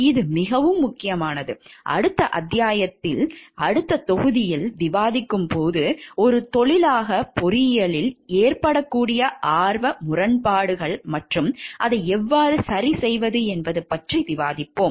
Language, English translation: Tamil, This is very important like when we discuss in the next chapters next modules we will be discussing about conflicts of interest that may happen in the engineering as a profession, and how to take remedial measures of it